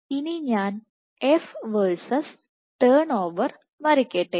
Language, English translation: Malayalam, Now, let me draw the curve E versus turn over